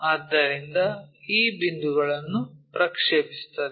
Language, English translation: Kannada, So, project these points